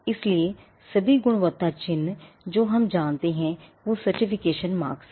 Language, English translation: Hindi, So, all the quality marks that we know are certification mark